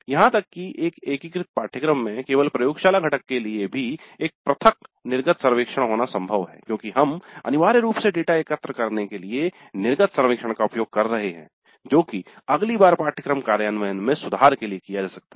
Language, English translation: Hindi, Even for an integrated course it is possible to have a separate exit survey only for the laboratory component because we are essentially using the exit survey to gather data which can be used to improve the implementation of the course the next time